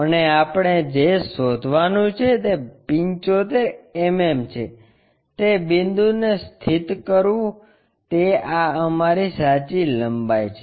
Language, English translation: Gujarati, And, what we have to locate is 75 mm locate that point this is our true length